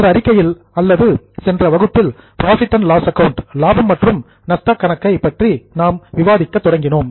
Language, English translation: Tamil, In the last statement or in the last session we had started with discussion on profit and loss account